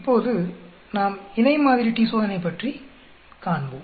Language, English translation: Tamil, Now we will look at paired sample t Test